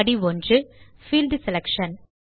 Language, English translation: Tamil, We are in Step 1 Field Selection